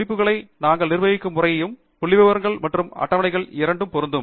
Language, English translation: Tamil, The way we manage references can also be applicable to both figures and tables